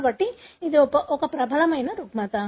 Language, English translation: Telugu, So, it is a dominant disorder